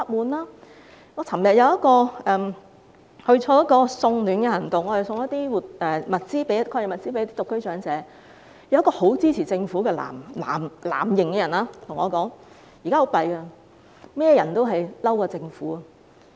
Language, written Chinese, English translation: Cantonese, 我昨天參加了一項送暖活動，把抗疫物資送給一些獨居長者，其中有一位很支持政府的藍營市民，他說很糟糕，現在所有人都不滿政府。, Yesterday I participated in a charity event to give anti - epidemic supplies to elderly singletons . One of them was a strong supporter of the Government in the blue camp . He said how terrible now everyone is unhappy with the Government